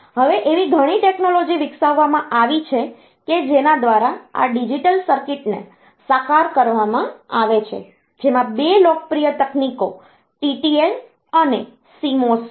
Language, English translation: Gujarati, Now there are several technologies that have been developed by in which these digital circuits are realized, 2 popular technologies are TTL and CMOS